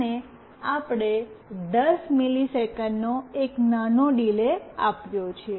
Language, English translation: Gujarati, And we have given a small delay that is 10 milliseconds